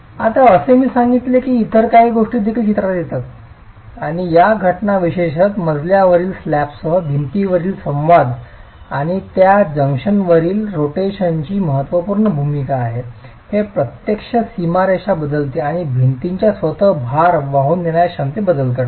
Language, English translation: Marathi, Now as I had mentioned earlier, there are other factors that will come into the picture and these phenomena, particularly the interaction of the wall with the floor slabs and the rotation at that junction has an important role to play, it actually changes the boundary conditions and would alter the vertical load carrying capacity of the wall itself